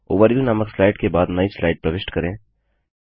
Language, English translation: Hindi, Insert a new slide after the slide titled Overview